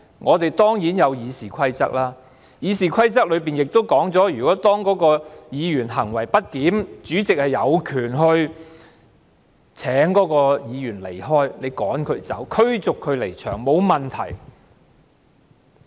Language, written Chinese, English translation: Cantonese, 我們當然有《議事規則》，《議事規則》亦說明當議員行為不檢時，主席有權請該位議員離開，驅逐他離場，沒有問題。, Certainly we have the Rules of Procedure which provide that if the conduct of a Member is disorderly the President has the power to ask the Member to leave and remove him from the Chamber . There is no problem with it